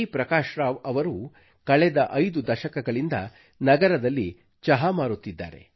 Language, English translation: Kannada, Prakash Rao has been a tea vendor in the city of Cuttack forthe past five decades